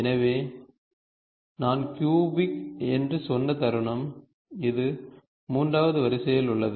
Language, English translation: Tamil, So, moment I said cubic, it is the third order